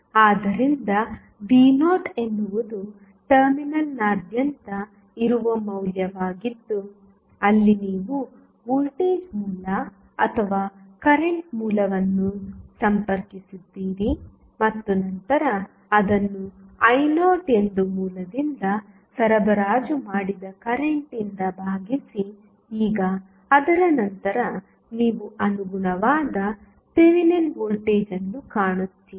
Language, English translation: Kannada, So, V naught is the value which is across the terminal where you have connected either the voltage source or current source and then divided by current supplied by the source that is I naught and now, after that you will find the corresponding Thevenin voltage